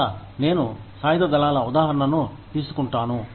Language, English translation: Telugu, So again, I take the example of the armed forces